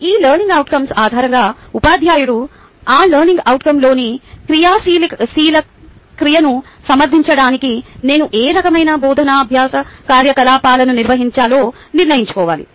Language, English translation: Telugu, based on these learning outcomes, teacher needs to decide what type of teaching learning activity do i need to conduct to address the active verb within that learning outcome